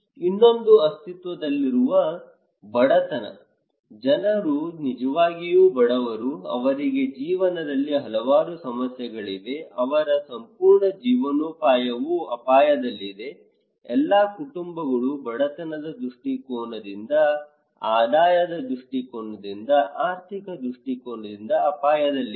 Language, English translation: Kannada, Another one is the existing poverty; people are really poor, they have so many problems in life, their entire livelihood is at risk, all households they are at risk from the poverty perspective, income perspective, economic perspective